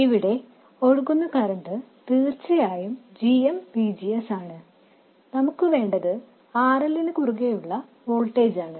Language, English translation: Malayalam, The current that flows here is of course GMVGS and what we want is the voltage across RL